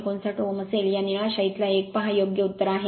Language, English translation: Marathi, 158 ohm this blue ink one you see right this is the correct answer